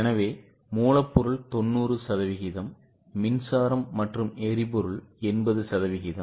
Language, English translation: Tamil, So, raw material 90% power and fuel, 80% and so on